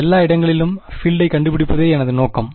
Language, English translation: Tamil, My objective was to find the field everywhere